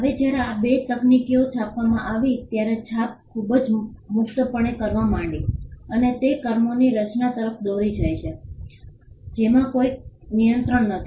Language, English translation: Gujarati, Now when these two technologies came into being printing began to be practiced very freely and it lead to creation of works which without any control